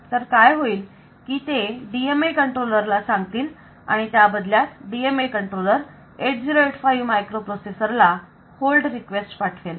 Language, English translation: Marathi, That the, they will tell the DMA controller and DMA controller in turn will send a hold request to the 8085 processor